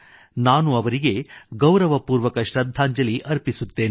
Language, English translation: Kannada, I most respectfully pay my tributes to her